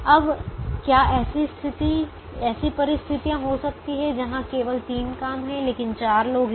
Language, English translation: Hindi, now, can there be situations where there are only three jobs but there are four people